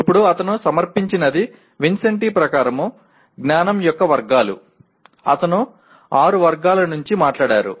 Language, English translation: Telugu, Now what he has presented, categories of knowledge as per Vincenti, there are six categories that he talked about